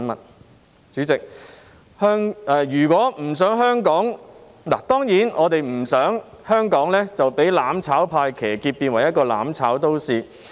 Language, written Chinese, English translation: Cantonese, 代理主席，我們當然不想香港被"攬炒派"騎劫，變成一個"攬炒"都市。, Deputy President we surely do not want Hong Kong to be hijacked by the mutual destruction camp and turn into a city of mutual destruction